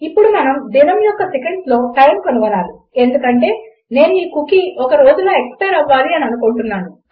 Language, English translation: Telugu, Now we need to find out the time in seconds of a day because I want this cookie to expire in a day